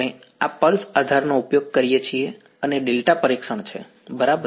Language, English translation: Gujarati, We use this pulse basis and delta testing ok